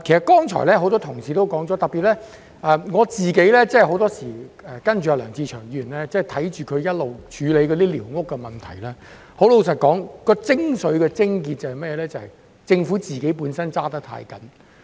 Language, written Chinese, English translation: Cantonese, 剛才多位同事皆提及，而特別是據我自己跟梁志祥議員一直處理寮屋問題的觀察所得，問題的精髓或癥結坦白說是政府本身過分嚴謹。, As said by various Members just now and in particular based on my observation from my handling of issues concerning squatter structures together with Mr LEUNG Che - cheung all along the essence or crux of this issue is frankly that the Government has been overly stringent